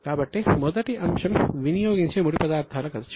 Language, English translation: Telugu, So, the first item is cost of material consumed